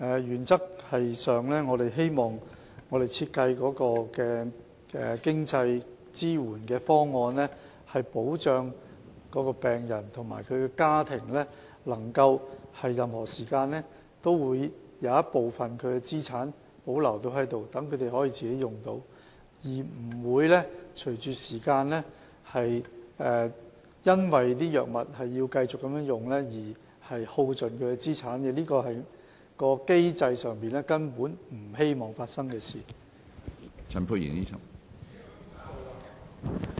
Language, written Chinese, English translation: Cantonese, 原則上，我們希望所設計的經濟支援方案可確保病人及其家庭在任何時候也能保留部分資產供自己使用，不會隨着時間，由於要繼續購買藥物而耗盡資產，這是在機制上我們不希望會發生的事情。, In principle we hope that the designed financial support proposal will ensure that patients and their families can maintain part of their assets for their own use at any time and their assets will not be exhausted owing to the need to continue to purchase drugs as time goes by . This is what we do not wish to see happen under the mechanism